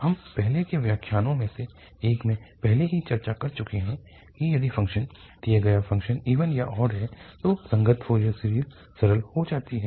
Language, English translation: Hindi, We have already discussed in one of the earlier lectures that, if the function, the given function is even or odd then the corresponding Fourier series becomes simpler